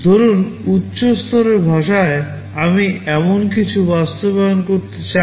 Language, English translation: Bengali, Suppose in high level language, I want to implement something like this